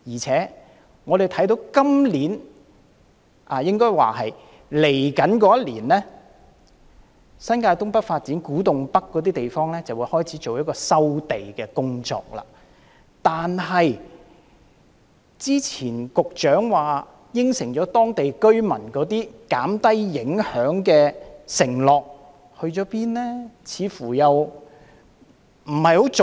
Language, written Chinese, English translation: Cantonese, 此外，我們看到在未來1年，就新界東北發展，政府會在古洞北等地方開始進行收地工作，但是，局長早前答應當地居民會減低相關影響的承諾到哪裏去了？, Moreover as we can observe in the coming year the Government will begin land resumption in areas such as Kwu Tung North for the development of North East New Territories . But what about the previous promise the Secretary made to the local residents about minimizing the relevant impacts?